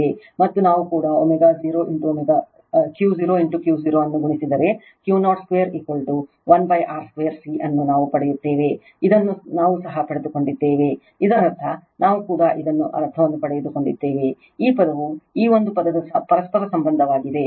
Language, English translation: Kannada, And if we also we are if we multiply Q 0 into Q 0, you will get Q 0 square is equal to 1 upon R square C this also we have derived, this also we have derived that means, these term is the reciprocal of this one R square C upon L is equal to 1 upon Q 0 square